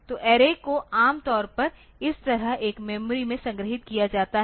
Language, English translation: Hindi, So, array is normally stored in a memory like this